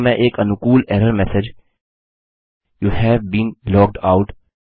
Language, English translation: Hindi, Here I could type a friendly error message Youve been logged out